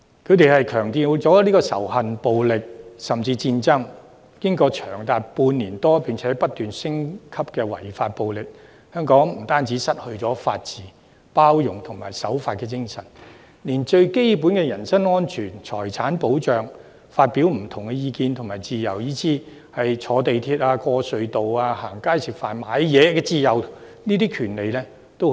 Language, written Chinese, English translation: Cantonese, 他們強調仇恨、暴力，甚至戰爭，在長達半年多並且不斷升級的違法暴力後，香港不單失去法治、包容和守法精神，連最基本的人身安全、財產保障和發表不同意見的自由，以至乘坐鐵路、通過隧道、逛街吃飯和購物等的自由和權利均已失去。, They have emphasized hate violence and even war . After six months the illegal and violent protests have continued to intensify we have lost not only our rule of law inclusiveness and law - abiding frame of mind in Hong Kong but even the most basic entitlements such as our personal and property safety our freedom to express different opinions as well as our freedom and rights to travel by rail use the tunnels go out to have a walk dine out and go shopping